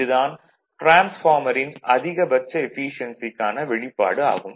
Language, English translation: Tamil, So, this is the all for maximum efficiency of a transformer